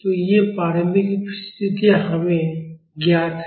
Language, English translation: Hindi, So, these initial conditions are known to us